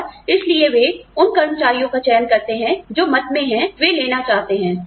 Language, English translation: Hindi, And, so they select the employees, who is in opinions, they want to take